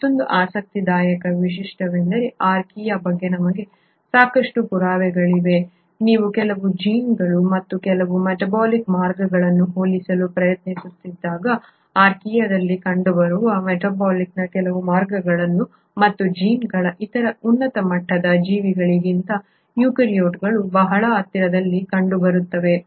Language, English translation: Kannada, What is another interesting feature and we now have sufficient proof about Archaea, is that when you try to compare certain genes and certain metabolic pathways, the metabolic certain pathways and genes which are found in Archaea are found to be very close to the eukaryotes, the other higher end organisms